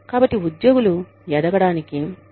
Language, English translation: Telugu, So, employees like to grow